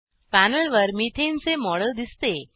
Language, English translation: Marathi, We have a model of methane on the panel